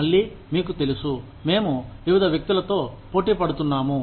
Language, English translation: Telugu, Again, you know, we are competing with, various people